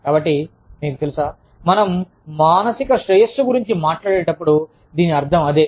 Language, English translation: Telugu, So, you know, when we talk about, psychological well being, this is what, we mean